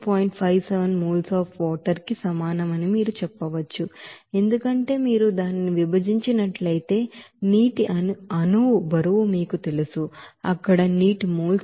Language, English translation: Telugu, 57 mole of water because if you divide it by you know molecular weight of water you can get this you know, moles of water there